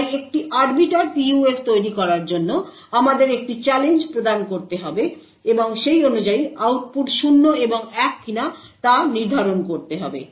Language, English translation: Bengali, So creating an Arbiter PUF would require that we provide a challenge and correspondingly determine whether the output is 0 and 1